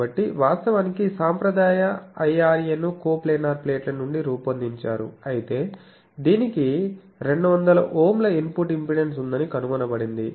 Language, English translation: Telugu, So, actually conventional IRA was designed from coplanar plates, but it was found out that it has an input impedance of 200 Ohm